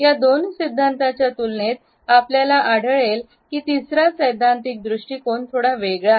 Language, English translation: Marathi, In comparison to these two theories, we find that the third theoretical approach is slightly different